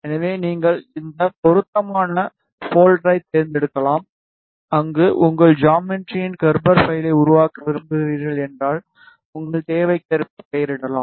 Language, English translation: Tamil, So, you can here select the appropriate folder, where you want to create the Gerber file of your geometry and you can name it as per your requirement